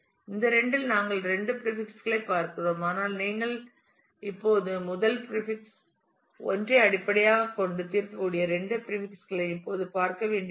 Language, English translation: Tamil, Out of these two which are we are looking at two prefixes, but you do not really right now need to look at both the prefixes you can still resolve just by based on the first prefix 1